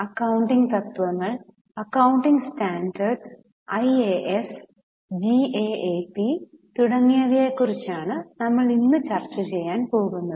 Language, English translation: Malayalam, Today we are going to discuss about very important concept of accounting principles, accounting standards, IAS GAAP and so on